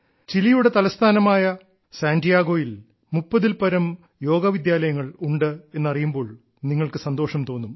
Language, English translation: Malayalam, You will be pleased to know that there are more than 30 Yoga schools in Santiago, the capital of Chile